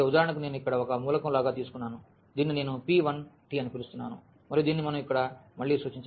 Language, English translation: Telugu, So, for example, we have taken like one element here which I am calling p 1 t and which we can denote again here this with a’s